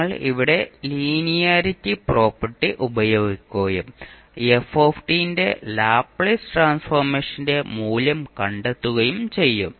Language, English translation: Malayalam, You will use linearity property here & find out the value of the Laplace transform of f t